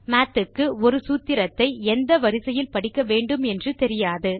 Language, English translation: Tamil, Math does not know about order of operation in a formula